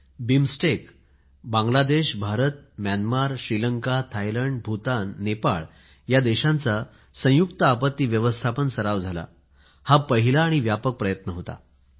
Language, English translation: Marathi, India has made a pioneering effort BIMSTEC, Bangladesh, India, Myanmar, Sri Lanka, Thailand, Bhutan & Nepal a joint disaster management exercise involving these countries was undertaken